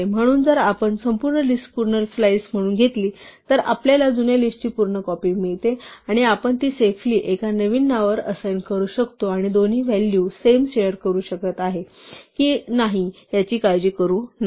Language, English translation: Marathi, So, if we take the entire list as a full slice we get a full copy of the old list and we can assign it safely to a new name and not worry about the fact that both names are sharing the value